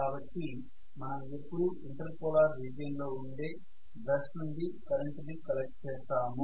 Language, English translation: Telugu, So I am collecting always the current from the brush which is in the inter polar region